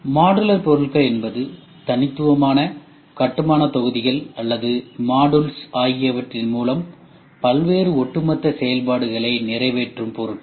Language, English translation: Tamil, Modular products are products that fulfill various overall functions through the combination of distinct building blocks or modules